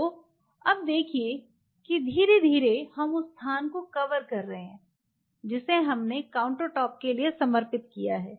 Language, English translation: Hindi, So, see now slowly we are covering the space what we have dedicated for the countertop